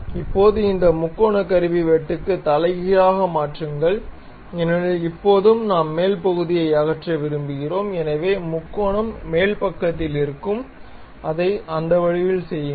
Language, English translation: Tamil, Now, reverse this triangular tool cut because now we want to remove the top portion, so the triangle will be on top side and make it in that way